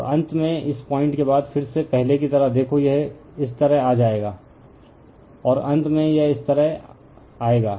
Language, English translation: Hindi, And finally, again after this point same as before, see it will come like this, and finally it will come like this